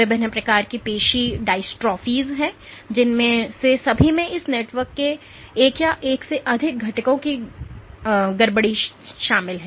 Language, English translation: Hindi, There are various types of muscular dystrophies one of which is all of which involve perturbation of one or more components of this network